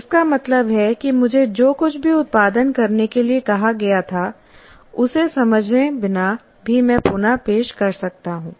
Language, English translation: Hindi, That means I can reproduce whatever I was asked to produce without even understanding it